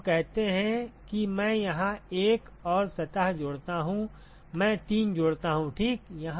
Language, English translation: Hindi, Now let us say I add 1 more surface here, I add 3 ok